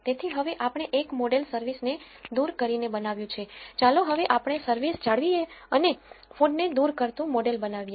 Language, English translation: Gujarati, So, now, we built a model dropping service, let us now retain service and build a model dropping food